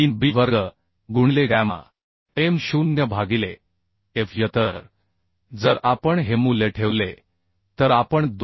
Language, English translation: Marathi, 3 b square into gamma m0 by fy So if we put this value we can find out 2